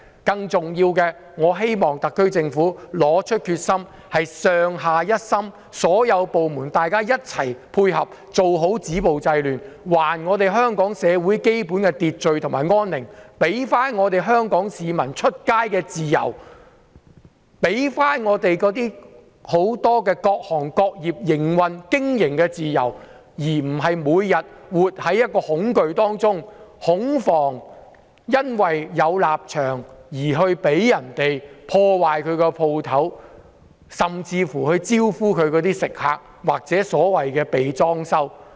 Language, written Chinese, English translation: Cantonese, 更重要的是，特區政府要拿出決心，上下一心，所有部門一起配合做好止暴制亂的工作，還香港社會基本的秩序和安寧、還香港市民外出的自由、還各行各業的營運和經營自由，使商戶不用每天活在恐懼當中，恐防因為立場不同而被人破壞店鋪，甚至"招呼"其食客或"被裝修"。, More importantly the SAR Government must be resolute and all departments must work concertedly to stop violence and curb disorder so as to restore the basic order and peace to Hong Kong and return the freedom of movement to the people . And various sectors and industries should also be given back their freedom of operating business and be saved from living in fear every day and worrying that their shops will be vandalized due to different political stands or their customers will be given special treatments